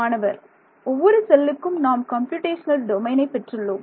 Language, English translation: Tamil, Every cell we have computational domain